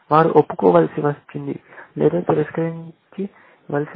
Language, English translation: Telugu, They had to confess or deny, but the principal is the same, essentially